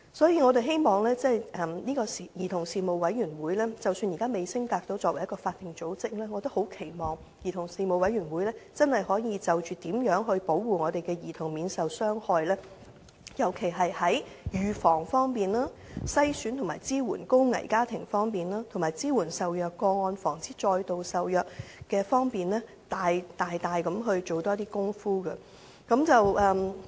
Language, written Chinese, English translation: Cantonese, 因此，即使兒童事務委員會現時仍未升格為法定組織，我們也期望它能真正就如何保護兒童免受傷害，尤其在預防、篩選和支援高危家庭，以及支援受虐個案和防止再度受虐方面大力進行更多工作。, Hence although now the Commission has not been upgraded to a statutory body we still expect it to genuinely do more work with greater efforts in protecting children from harm especially in such aspects as prevention of abuse in identification of and support for high - risk families as well as support for abuse cases and prevention of further abuse